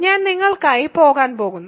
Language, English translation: Malayalam, That I am going to leave for you